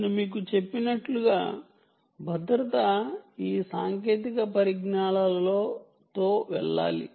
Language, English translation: Telugu, right, as i mentioned to you, security has to go with all these technologies